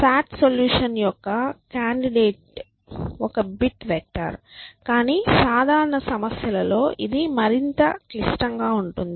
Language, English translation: Telugu, And a sats can sat solution candidate is a bit vector, but in general problems may be more complex